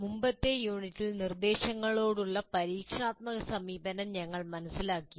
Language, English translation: Malayalam, In the earlier unit, we understood the experiential approach to instruction